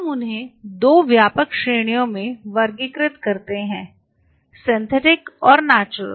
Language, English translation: Hindi, Let us classify them as we are mentioning into 2 broad categories; Synthetic and Natural